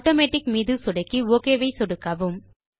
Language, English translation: Tamil, Now click on the Automatic option and then click on the OK button